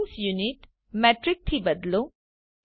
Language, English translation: Gujarati, Change scene units to Metric